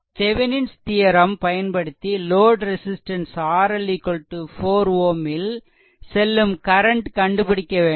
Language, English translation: Tamil, So, we have to find out using Thevenin’s theorem that your current through load resistance R L is equal to 4 ohm